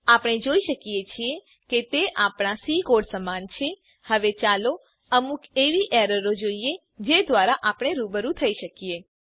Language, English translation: Gujarati, We can see that it is similar to our C code, Now we will see some common errors which we can come across